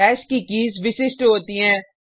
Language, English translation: Hindi, These are the keys of hash